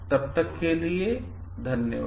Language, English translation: Hindi, Till then thank you